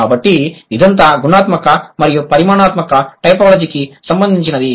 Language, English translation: Telugu, So, this is all this is about the qualitative and the quantitative typology